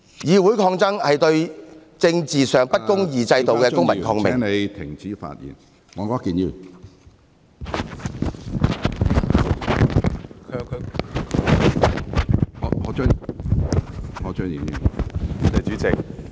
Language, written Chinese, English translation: Cantonese, 議會抗爭是對政治上不公義制度的公民抗命......, Confrontation in the legislature is civil disobedience against inequitable political systems